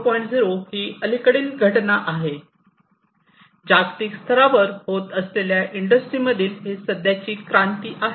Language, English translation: Marathi, 0 is the recent happening, it is the current revolution in the industries that is happening globally